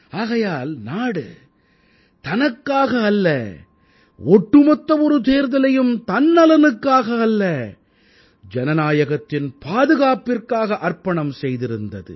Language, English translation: Tamil, And precisely for that, the country sacrificed one full Election, not for her own sake, but for the sake of protecting democracy